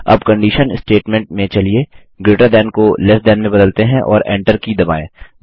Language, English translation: Hindi, Now, in the condition statement lets change greater than to less than and press the Enter key